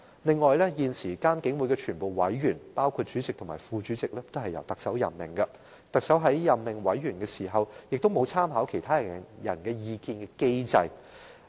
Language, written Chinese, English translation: Cantonese, 此外，監警會現時所有委員，包括主席和副主席，均由特首任命，而特首在任命委員時，亦沒有參考他人意見的機制。, Furthermore all existing members of IPPC including the Chairman and the Vice - Chairman are appointed by the Chief Executive where a mechanism for the Chief Executive to draw reference to the opinions of others is unavailable